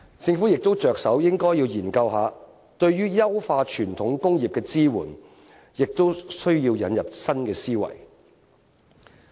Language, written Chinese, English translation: Cantonese, 政府應着手研究對於優化傳統工業的支援，亦需要引入新思維。, The Government should start examining ways of supporting the enhancement of traditional industries as well as to adopt new ideas